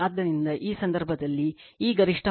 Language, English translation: Kannada, So, in this case, this peak value is equal to then root 2 V